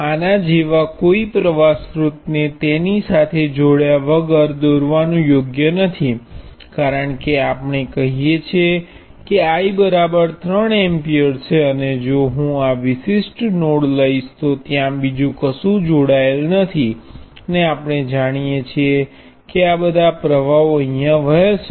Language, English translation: Gujarati, It is not correct to draw a current source like this without anything connected to it, because let us say I take I equals 3 amperes, and if I take this particular node there is nothing else connected to it and we know that all the currents flowing into a nodes should obey Kirchhoff current law